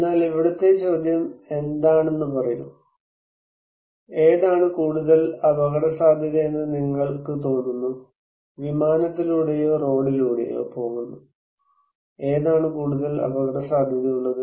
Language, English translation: Malayalam, But here is the question; which one told me; which one you feel is more risky, going by air or going by road, which one actually more risky